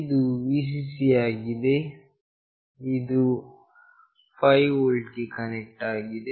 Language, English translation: Kannada, This is the Vcc, which is connected to 5 volt